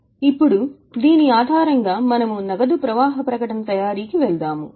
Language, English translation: Telugu, Now based on this we went for preparation of cash flow statement